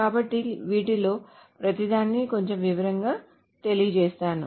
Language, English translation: Telugu, So let us go over each of this in a little bit more detail